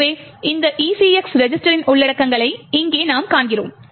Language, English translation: Tamil, So, what we see over here is the contents of these ECX register